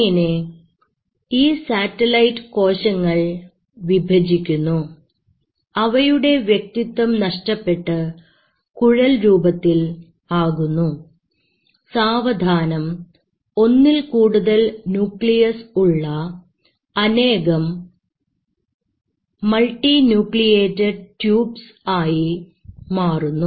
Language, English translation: Malayalam, These satellite cells come, they divide and then they form these kind of non identifying tubes and eventually they form multiple multi nuclated tubes